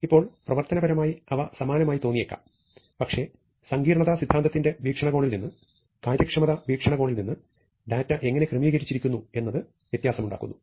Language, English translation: Malayalam, Now, functionally they may looks similar, but from a complexity theory point of view, from an efficiency point of view, how the data is organized makes a difference